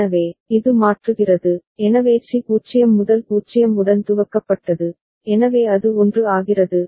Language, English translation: Tamil, So, it toggles means, so C was 0 initialised with 0, so it becomes 1